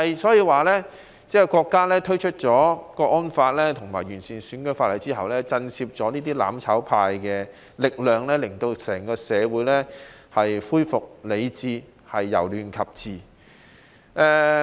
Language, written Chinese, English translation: Cantonese, 所以國家推出《香港國安法》及完善選舉制度，確實震懾了"攬炒派"的力量，讓整個社會恢復理智，由亂及治。, The actions taken by the country to implement the Hong Kong National Security Law and improve our electoral system have indeed produced a deterrent effect on the mutual destruction camp and the entire community could thus return to rationality and take a turn from chaos to governance